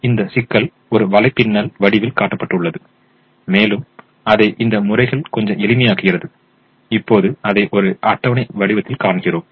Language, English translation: Tamil, now this problem is shown in the form of a network and to make it little simpler, we now show it in the form of a table